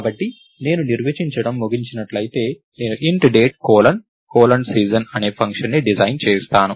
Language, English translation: Telugu, So, if I end up define, lets say I design a function called int Date colon colon season